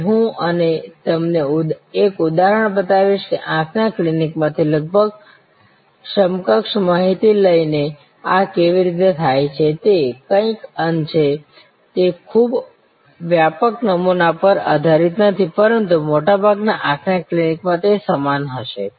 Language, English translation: Gujarati, I will now show you an example that how this is done by taking almost equivalent data from an eye clinic, it is somewhat it is not based on very wide sampling, but in most eye clinics it will be same